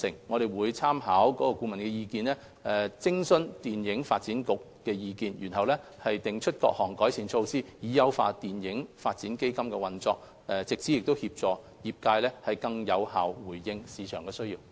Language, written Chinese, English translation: Cantonese, 我們會參考顧問的意見，並諮詢電影發展局的意見，然後訂出各項改善建議，以優化電影發展基金的運作，藉此協助業界更有效回應市場所需。, We will consider the recommendations therein and in consultation with FDC formulate proposals to enhance the operation of FDF so as to assist the industry to respond to the needs of the market more effectively